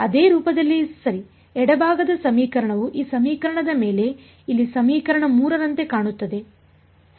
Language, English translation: Kannada, Of the same form correct does the left hand side look like that of this equation over here equation 3 ok